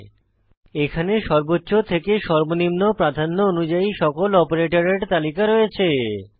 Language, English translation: Bengali, This slide lists all operators from highest precedence to lowest